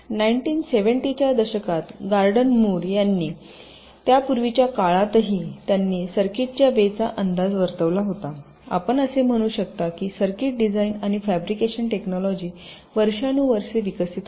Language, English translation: Marathi, gordon moore in the nineteen seventies, even earlier then, that he predicted the way the circuit, you can say the circuit design and fabrication technology, would evolve over the years